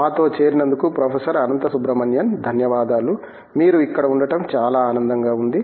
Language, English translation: Telugu, Anantha Subramanian for joining us, it is a pleasure to have you